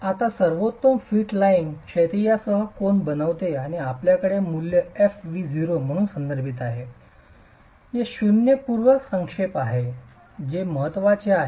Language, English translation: Marathi, Now, the best fit line has, it makes an angle with the horizontal and you have this value referred to as f v0 which is at zero pre compression which is of importance